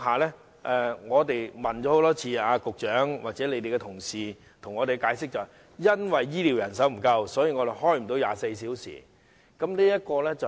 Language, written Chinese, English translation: Cantonese, 因此，我們多次向局長或局方的同事查問，他們的解釋是醫療人手不足，所以無法開設24小時門診服務。, We have thus repeatedly asked the Secretary and the Bureau officers of the reason for not providing 24 - hour outpatient services in Tin Shui Wai Hospital and their explanation is that they do not have sufficient health care manpower